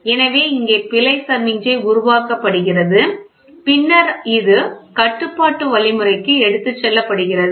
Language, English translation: Tamil, So, here there is error signal which is error signal which is generated and then, this is taken to the control algorithm